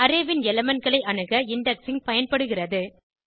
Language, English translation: Tamil, Indexing is used to access elements of an array